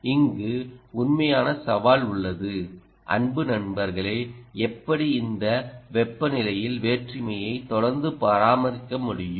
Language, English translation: Tamil, the real challenge is, dear friends, how do you maintain this temperature differential continuously